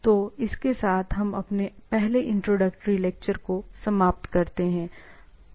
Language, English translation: Hindi, So, with this, let us compute our this first introductory lecture